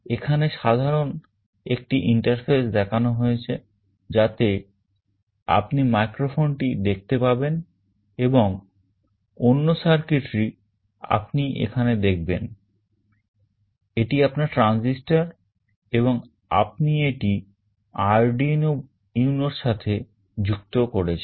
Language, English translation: Bengali, Here the typical interface is shown where you can see the microphone sitting here and the other circuitry you can see here, this is your transistor and you have made the connection with this Arduino UNO